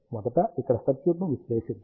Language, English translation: Telugu, Let us first analyse a circuit here